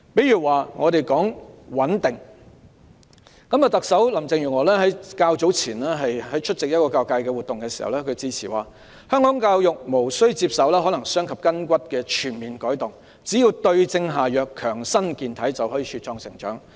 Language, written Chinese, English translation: Cantonese, 以穩定為例，特首林鄭月娥較早前出席一個教育界活動致辭時指出，香港教育無須接受可能傷及筋骨的全面改動，只要對症下藥，強身健體，就可茁壯成長。, Chief Executive Carrie LAM made a point earlier when she gave a speech at an event organized by the education sector . She says the education system in Hong Kong does not need a complete makeover that hurts the muscles and bones of it . It just needs the right remedies to fortify its body and it can grow up healthy and strong